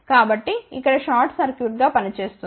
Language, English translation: Telugu, So, short will act as a short circuit here